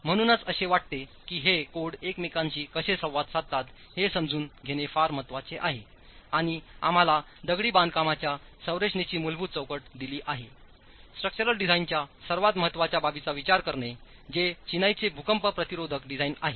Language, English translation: Marathi, So, to begin with, I think it's very important to understand how these codes interact with each other and give us the basic framework for design of masonry structures, considering probably the most important aspect of structural design, which is the earthquake resistant design of masonry